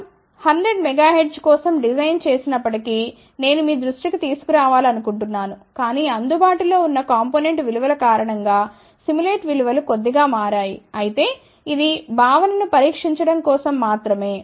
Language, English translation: Telugu, I want to bring to your attention even though we had designed for 100 megahertz, but because of the available component values the simulated values shifted slightly, but since this was just for testing the concept it is ok